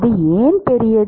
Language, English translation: Tamil, Why is it larger